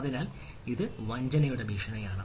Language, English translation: Malayalam, so this is a threat of deception